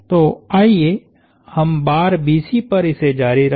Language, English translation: Hindi, So, let us continue on to bar BC